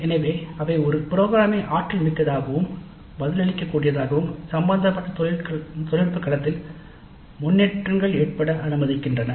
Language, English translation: Tamil, So they allow a program to be more dynamic and responsive to the developments in the technical domain concern